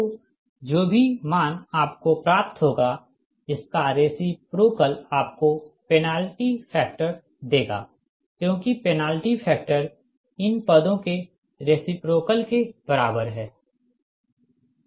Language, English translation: Hindi, if you get, then whatever value you will get, its reciprocal will give you the penalty factor, because penalty factor is equal to the reciprocal of this terms, right